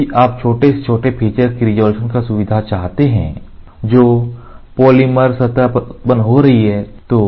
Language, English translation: Hindi, If the resolution or if you want the resolution of the feature which is getting generated on a polymer surface to be as small as possible